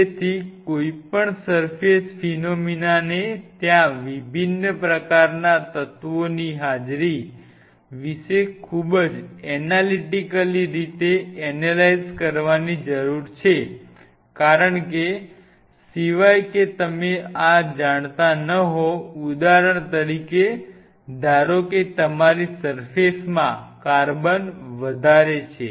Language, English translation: Gujarati, So, any surface phenomena need to be analyzed very analytically about the presence of different kind of elements which are there because, unless otherwise you know this say for example, thing of this suppose your surface has higher carbon